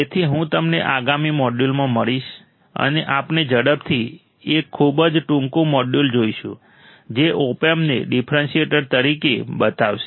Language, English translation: Gujarati, So, I will see you in the next module, and we will see quickly a very short module which will show the opamp as a differentiator